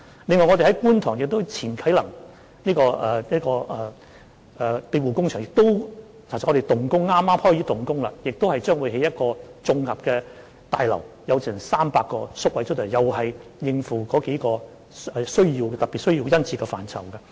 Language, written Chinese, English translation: Cantonese, 另外，我們將在觀塘啟能庇護工場及宿舍舊址設立一所綜合康復服務大樓，工程剛開始，竣工後此設施將共提供300個宿位，以應付對上述類別宿位殷切的需求。, This is a large rehabilitation services centre . Moreover we will set up an integrated rehabilitation services complex at the site of ex - Kai Nang Sheltered Workshop and Hostel in Kwun Tong . Construction works have just started and on completion the facility will provide 300 residential places to cope with the keen demand for the above types of residential places